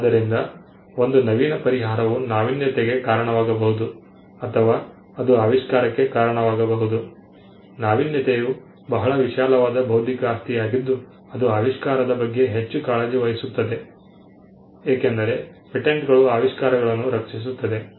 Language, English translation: Kannada, So, an innovative solution could either result in an innovation or it could result in an invention, innovation is a very broad term intellectual property is more concerned about invention, because patents would protect inventions